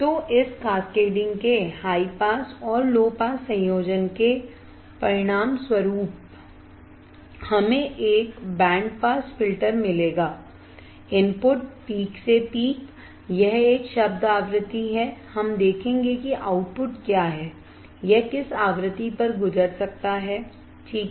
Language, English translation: Hindi, So, high pass and low pass combination of this cascading of this we will result in a band pass filter; input peak to peak it is a term frequency; We will see what the output, which frequency it is can pass alright